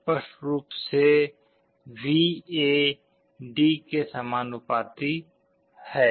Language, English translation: Hindi, Clearly, VA is proportional to D